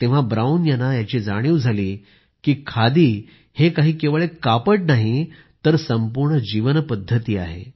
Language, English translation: Marathi, It was then, that Brown realised that khadi was not just a cloth; it was a complete way of life